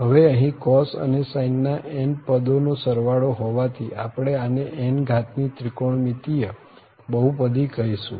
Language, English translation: Gujarati, So, and since there are n such terms are added for having this cos and sin terms, so we call this trigonometric polynomial of order n